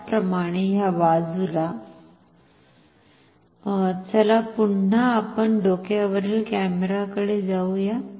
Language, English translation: Marathi, Similarly, on this side let us go back to the overhead camera again